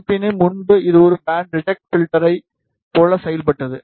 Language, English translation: Tamil, However, earlier it was acting like a band reject filter